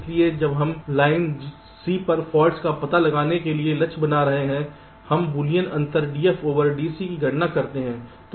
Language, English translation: Hindi, so, since we are targeting to detect faults on line c, we compute the boolean difference d, f, d, c